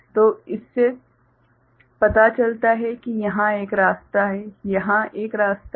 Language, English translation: Hindi, So, this shows that there is a path over here, there is a path over here